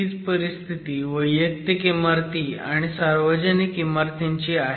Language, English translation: Marathi, Now, that's true for public buildings and that's true for private buildings